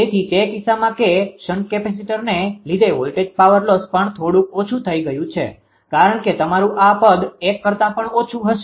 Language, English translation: Gujarati, So, in that case that due to shnt capacitor also voltage ah power loss also reduced to some extent right because this term will be your what do you call less than less than 1